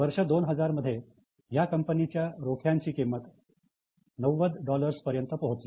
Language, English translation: Marathi, And in 2000, the stock price reached a level of $90